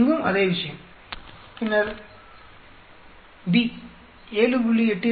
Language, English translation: Tamil, Same thing here, then B, 7